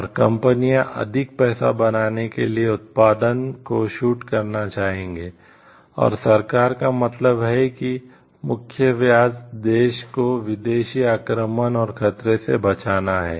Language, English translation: Hindi, And the companies would want to shoot up the production to make more money and, the government means in main interest lies in protecting the country from foreign invasion and threat